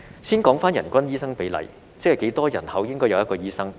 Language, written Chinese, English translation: Cantonese, 先說回人均醫生比例，即是多少人口應該有1名醫生。, Let me return to the per capita doctor ratio that is the number of population per doctor